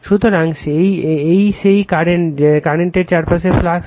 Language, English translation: Bengali, So, this is that your flux surrounding current right